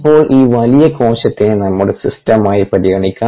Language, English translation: Malayalam, now let us consider this large cell as a system